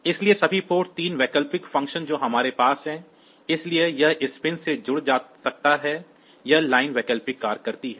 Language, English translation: Hindi, So, all those port 3 alternate functions that we have; so, they can be connected to this pins; this lines alternate functions